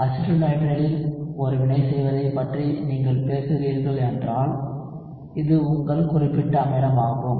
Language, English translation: Tamil, If you are talking about doing a reaction in acetonitrile, this is your specific acid